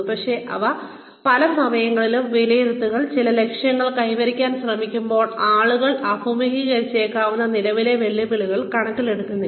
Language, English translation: Malayalam, But, appraisals in many times, do not take into account, the current challenges, that people may have faced, while trying to achieve, certain objectives